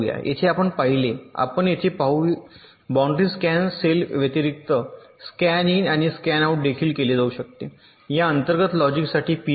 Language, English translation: Marathi, you saw, you see here that in addition to the boundary scan cells there can be also a scan in and scan out pin for this internal logic